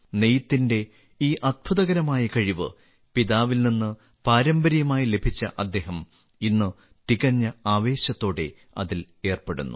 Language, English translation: Malayalam, He has inherited this wonderful talent of weaving from his father and today he is engaged in it with full passion